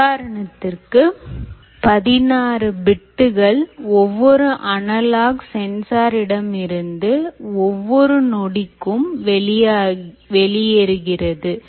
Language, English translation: Tamil, assume that sixteen bits of data which is coming from an analogue sensor is coming out every second